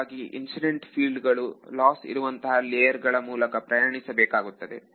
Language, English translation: Kannada, So, that incident field will have to travel through this lossy layer in order to get there right